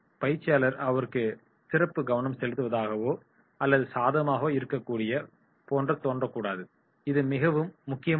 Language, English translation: Tamil, Trainer cannot appear to be giving them special attention or favouring them, this is very very important